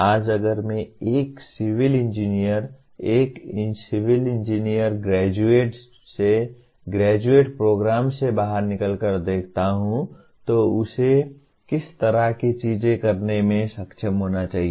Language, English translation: Hindi, Today if I look at a civil engineer, a civil engineering graduate coming out of a undergraduate program, what kind of things he should be capable of doing